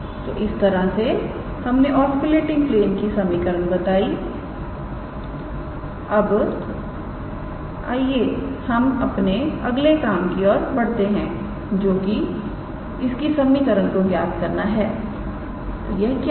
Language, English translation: Hindi, So, that is how we give the equation of the osculating plane, now let us go move on to our next task which is calculating the equation of; what was that